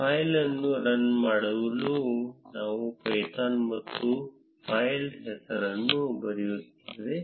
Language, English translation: Kannada, To run the file we write python and the name of the file